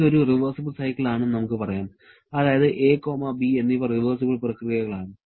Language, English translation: Malayalam, Let us say this is a reversible cycle that is both a and b are reversible processes